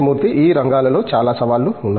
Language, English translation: Telugu, And lot of challenges in these areas